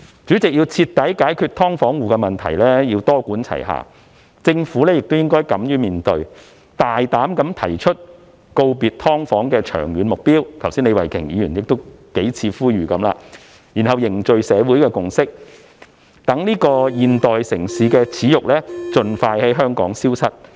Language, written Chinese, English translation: Cantonese, 主席，要徹底解決"劏房戶"問題，需要多管齊下，政府亦應敢於面對，大膽提出告別"劏房"的長遠目標——李慧琼議員剛才亦已多次呼籲——然後凝聚社會共識，讓這個現代城市的耻辱盡快在香港消失。, President it is imperative to adopt a multi - pronged approach to thoroughly resolve the problem of SDUs . The Government should also dare to face up to the problem boldly put forward the goal of bidding farewell to SDUs in the long run―Ms Starry LEE has made a number of appeals just now―and then garner consensus in society so that the disgrace of this modern city can be removed from Hong Kong as soon as possible